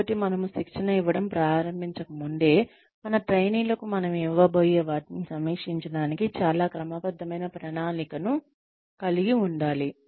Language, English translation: Telugu, So, even before we start imparting the training, we should have, a very systematic plan in place, for reviewing, whatever we are going to give our trainees